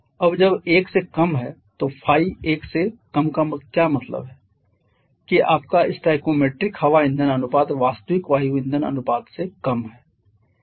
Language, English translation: Hindi, Now when the Phi is less than 1, Phi less than 1 means your stoichiometric air fuel ratio is less than the actual air fuel ratio